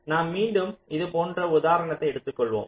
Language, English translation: Tamil, so we again take an examples like this